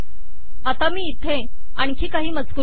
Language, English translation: Marathi, Let me put some more text here